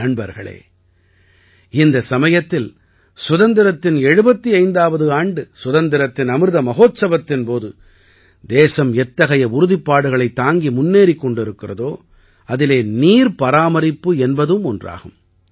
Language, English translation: Tamil, Friends, at this time in the 75th year of independence, in the Azadi Ka Amrit Mahotsav, water conservation is one of the resolves with which the country is moving forward